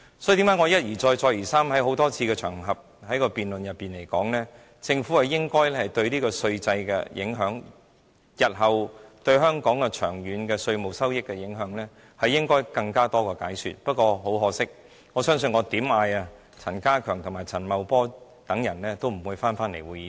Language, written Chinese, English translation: Cantonese, 所以，為何我一而再，再而三地在多個辯論場合中指出，政府應該對稅制的影響，對香港日後的稅務收益的長遠影響作更多的解說，不過，很可惜，不管我如何呼喊，陳家強、陳茂波等官員也不會返回會議廳。, This is why I have pointed out time and again in various debate venues that the Government should elaborate further on the impact of the measures on the tax regime in particular the long - term impact on the tax revenue . Regrettably despite I have shouted out relevant officials such as K C CHAN and Paul CHAN will not return to this Chamber